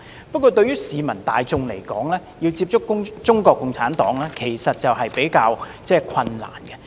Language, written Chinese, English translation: Cantonese, 不過，對市民大眾來說，要接觸中國共產黨較為困難。, It is however comparatively difficult for the general public to know about CPC